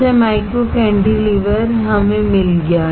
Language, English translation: Hindi, So, micro cantilever we got it